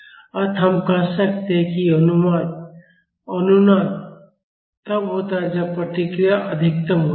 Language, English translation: Hindi, So, we can say that the resonance occurs when the response is maximum